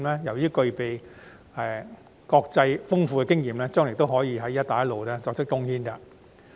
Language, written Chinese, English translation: Cantonese, 由於具備豐富的國際經驗，將來亦可對"一帶一路"建設作出貢獻。, With ample international experiences our insurance industry can also contribute to the Belt and Road Initiative in the future